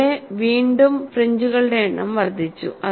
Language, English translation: Malayalam, And here again, the number of fringes have increased